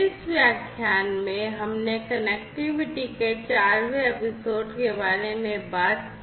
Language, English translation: Hindi, In this lecture, we talked about the 4th episode of Connectivity